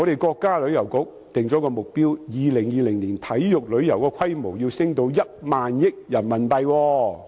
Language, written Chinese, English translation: Cantonese, 國家旅遊局訂定了一個目標，就是在2020年，體育旅遊的規模要提升至1萬億元人民幣。, The China National Tourism Administration has set the objective of increasing the consumption on sports tourism to RMB1,000 billion by 2020